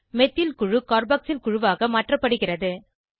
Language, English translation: Tamil, Methyl group is converted to a Carboxyl group